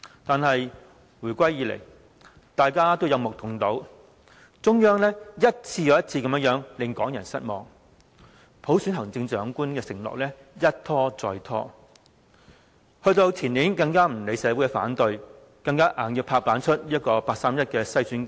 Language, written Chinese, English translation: Cantonese, 但是，回歸以來，大家都有目共睹，中央一次又一次令港人失望，普選行政長官的承諾一拖再拖，前年更不理社會反對，強行推出八三一篩選框架。, However after the reunification it is well evident that the Central Government has time and again disappointed Hong Kong people . The promise of election of the Chief Executive by universal suffrage has been stalling . Two years ago amid objection of the entire community the 31 August screening framework was forcibly enforced